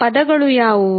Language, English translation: Kannada, What were those words